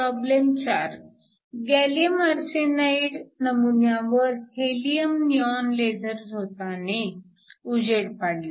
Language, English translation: Marathi, Problem 4: you have a gallium arsenide sample is illuminated with a helium neon laser beam